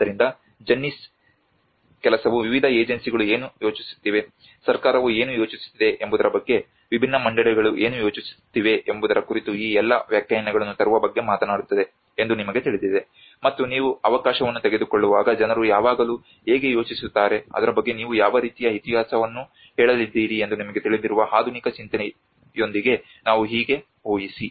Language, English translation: Kannada, So this is where the Jennies work talks about bringing all these interpretations of what different agencies are thinking what the government is thinking is about what different boards are thinking about you know so and when you are taking an opportunity of the move always people think about how we can envisage with the modern thinking you know how what kind of history you are going to tell about it